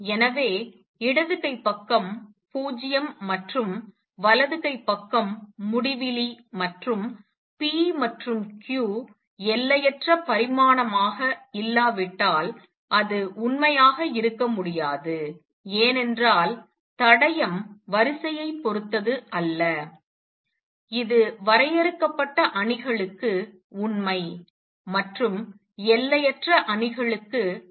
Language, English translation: Tamil, So, left hand side is 0 and right hand side is infinity and that cannot be true unless p and q are infinite dimensional because the result that the trace does not depend on the order is true for finite matrices and not for infinite matrices